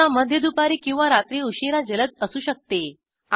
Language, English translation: Marathi, Typically mid afternoon or late night may be fast